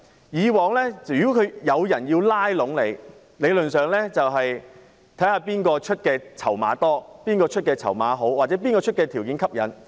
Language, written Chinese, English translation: Cantonese, 以往如果有人要拉攏你，理論上要看看誰肯出較多、較好的籌碼或是條件較吸引。, In the past if people wanted to draw you in theoretically you would consider the side which could offer more and better reward or more attractive terms